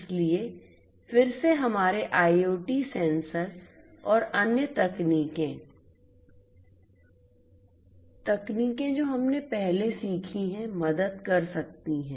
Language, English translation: Hindi, So, again our IoT sensors and other techniques technologies that we have learnt previously could help us in doing